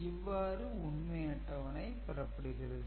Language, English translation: Tamil, So, this is the way you can get the truth table